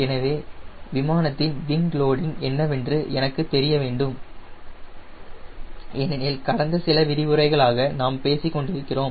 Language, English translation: Tamil, so i need to know what is the wing loading of this aircraft because that we have being talking for last few lectures